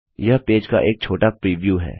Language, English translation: Hindi, Here is a small preview of the page